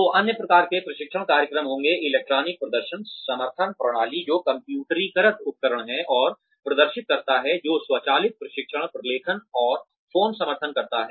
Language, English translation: Hindi, electronic performance support system, which is computerized tools, and displays, that automate, training documentation, and phone support